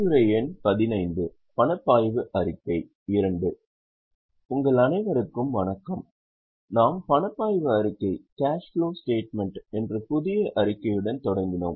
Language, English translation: Tamil, We had started with a new statement that is cash flow statement